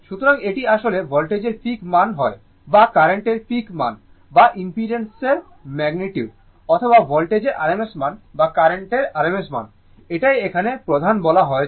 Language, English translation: Bengali, So, it is it is actually either peak value of the voltage by peak value of the current the magnitude of the impedance or rms value of the voltage or rms value of the current that is what has been main said here right